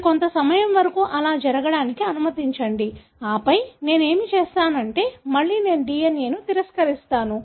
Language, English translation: Telugu, You allow that to happen for some time and then, what I do is, then again I denature the DNA